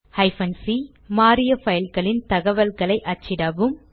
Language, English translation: Tamil, c#160: Print information about files that are changed